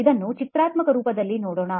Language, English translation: Kannada, Let’s look at this in a graphical format